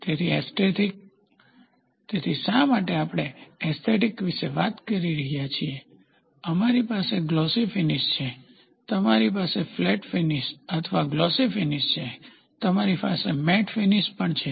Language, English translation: Gujarati, So, aesthetic, so why are we talking about aesthetic is, we have a glossy finish, you have a flat finish or a glossy finish, you also have something called as a matte finish